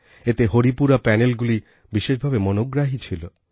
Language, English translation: Bengali, Of special interest were the Haripura Panels